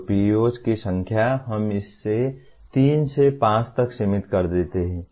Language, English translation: Hindi, So the number of PEOs, we limit it to anywhere from three to five